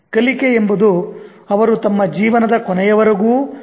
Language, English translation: Kannada, Learning is something that they continue till the end of their life